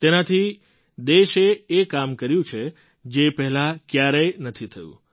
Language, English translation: Gujarati, This is why the country has been able to do work that has never been done before